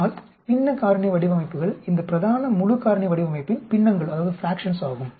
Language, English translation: Tamil, But fractional factorial designs are fractions of this main full factorial design